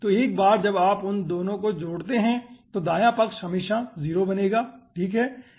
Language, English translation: Hindi, so once you add those 2, the right hand side will always become 0, right aah